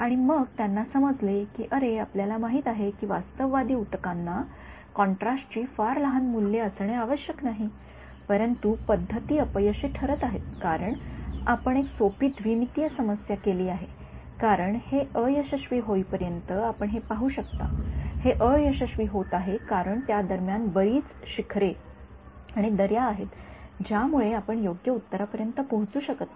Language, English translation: Marathi, And then at some point they realized oh you know realistic tissue need not have very small values of contrast, but are methods are failing you can because you made a simple 2 D problem you can you can see this until why it is failing; its failing because there are so many hills and valleys in between that you are not able to reach the correct answer